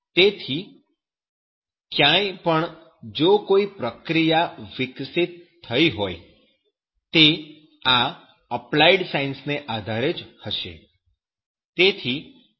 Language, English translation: Gujarati, So, anywhere if any process is developed that will be depending on the applied sciences